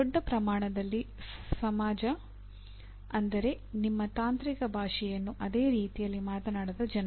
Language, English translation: Kannada, Society at large would mean people who do not speak your technical language in the same acronym, same way